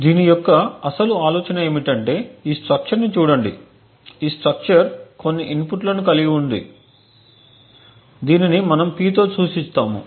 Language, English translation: Telugu, The central idea for this is to look at this structure, this structure comprises of some input which we denote P